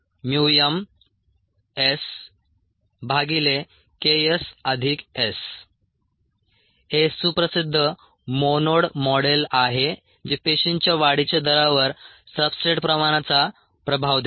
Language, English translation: Marathi, this is the well known monod model, which gives the effect of substrate concentration on the growth rate of cells